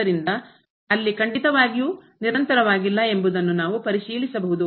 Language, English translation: Kannada, So, there they are certainly not continuous which we can check